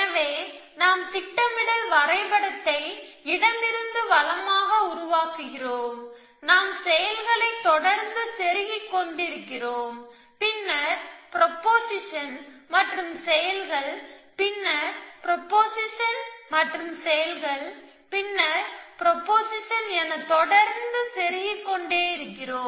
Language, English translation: Tamil, So, we construct the planning graph from left to right, we keep inserting actions, then proportion and actions then proportion and actions then proportion